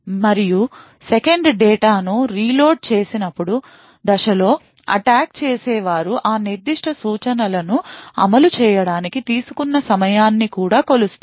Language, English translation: Telugu, And during the 2nd step when the data is reloaded into the cache, the attacker also measures the time taken for that particular instruction to execute